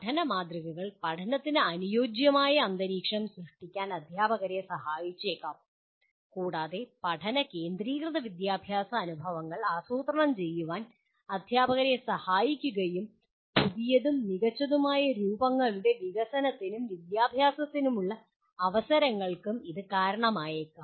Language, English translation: Malayalam, Teaching models may help teachers to create conducive environment for learning and they may help teachers to plan learning centered educational experiences, may stimulate development of new and better forms and opportunities for education